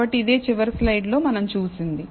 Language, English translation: Telugu, So, this is what we saw in the last slide